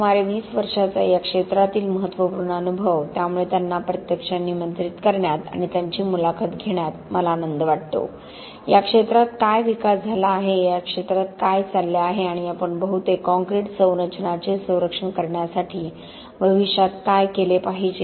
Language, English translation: Marathi, Significant experience in this area of about 20 years, so it is our pleasure to, my pleasure to actually invite and have an interview with him, you know on what is the development, what have been happening in this area and what we should do in future to protect most of our concrete structures